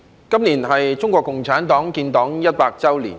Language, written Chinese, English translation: Cantonese, 今年是中國共產黨建黨一百周年。, This year marks the 100th anniversary of the founding of the Communist Party of China CPC